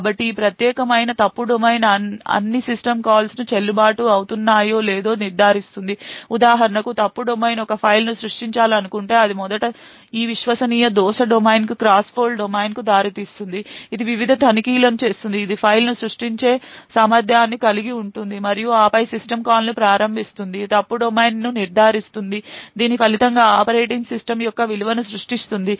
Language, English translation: Telugu, So this particular fault domain would ensure and check whether all system calls are valid so for example if fault domain one wants to create a file it would first result in a cross fault domain to this trusted a fault domain which makes various checks ensures that fault domain has the capability of creating a file and then invokes the system call that would result in the operating system creating a value